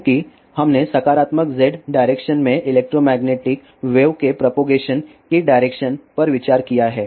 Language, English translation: Hindi, Since, we have considered the direction of propagation of electromagnetic wave in positive Z direction